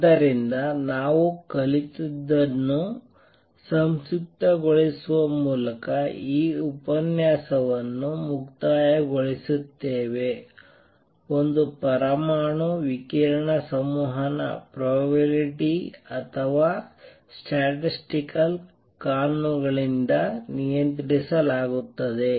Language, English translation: Kannada, So, we conclude this lecture by summarizing whatever we have learnt 1 the atom radiation interaction is governed by probability or statistical laws